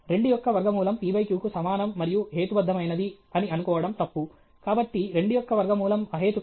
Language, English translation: Telugu, To assume that root 2 is equal to p by q and is rational was wrong; therefore, root 2 is irrational